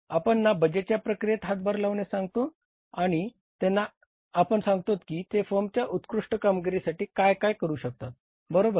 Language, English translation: Marathi, We ask them to contribute in the budgeting process and tell the firm what can they do for the firm or for the best performance of the firm